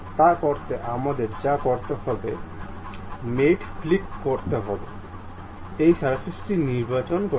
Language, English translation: Bengali, To do that what we have to do click mate, pick this surface